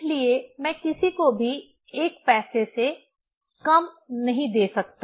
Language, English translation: Hindi, So, I cannot give to anyone the less than 1 paisa